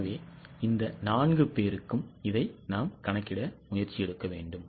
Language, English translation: Tamil, So, we will try to calculate it for all these four